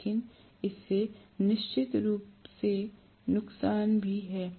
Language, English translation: Hindi, But this definitely has the disadvantage as well